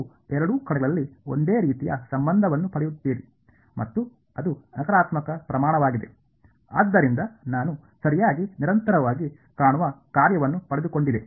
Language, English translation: Kannada, You get the same relation on both sides and it is a negative quantity right, so that is what you get over here alright